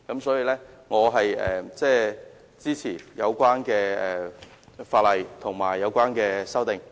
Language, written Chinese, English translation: Cantonese, 因此，我支持有關法例和有關修訂。, I thus support the relevant legislation and amendments